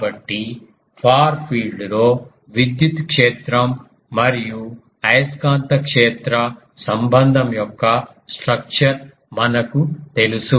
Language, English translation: Telugu, So, from we know the structure of electric field and magnetic field relation in the far field